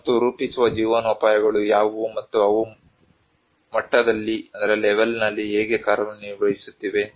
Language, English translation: Kannada, And what are the shaping livelihoods and how they are operating at levels